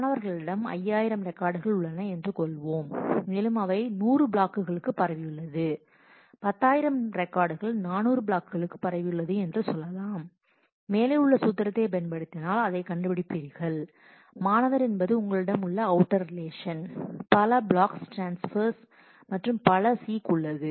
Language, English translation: Tamil, So, here I have just shown a simple example of computing the join of student and takes let us say student has 5000 records and spread over 100 blocks takes relation has 10000 records spread over 400 blocks then if you apply the formula above you will find that if student is the outer relation you have so, many block transfer and so, many seeks